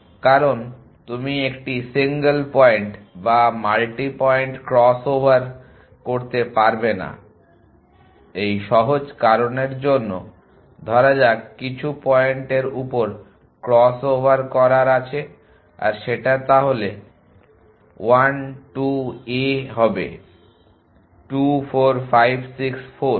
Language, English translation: Bengali, Because you cannot do a single point or multi point cross aver have for the simple reason that supposing have what a do of cross over some point then I 2 a would be 2 4 5 6 4